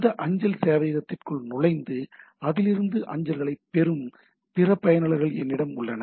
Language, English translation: Tamil, And we have the other users which poke into this mail server and get the mails out of it, right